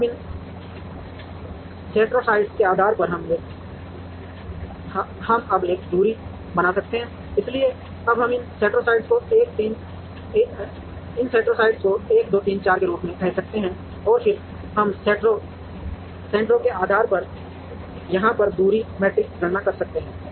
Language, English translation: Hindi, So, now based on these centroids we can now create a distance, so we can now call these centroids as 1 2 3 4, and then we can compute a distance matrix here based on the centroids